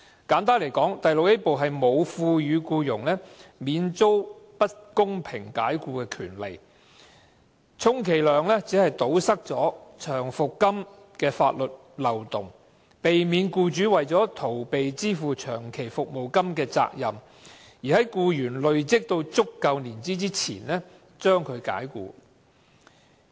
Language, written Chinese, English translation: Cantonese, 簡單來說，第 VIA 部沒有賦予僱員免遭不公平解僱的權利，充其量只是堵塞長期服務金的法律漏洞，避免僱主為了逃避支付長期服務金而在僱員累積足夠年資前將其解僱。, Simply put Part VIA does not provide employees with the right to fight against unfair dismissal . It can at best plug the legal loophole involving long service payment by preventing an employer from dismissing an employee whose length of service is about to qualify him for long service payment